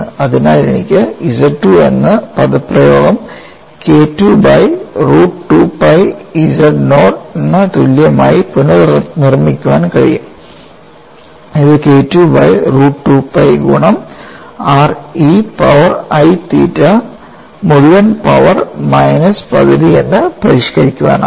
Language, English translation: Malayalam, So, I can recast this expression as Z 2 equal to K 2 by root of 2 pi z naught which could be modified as K 2 by root of 2 pi multiplied by r e power i theta whole power minus half